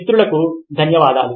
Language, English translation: Telugu, thank you, friends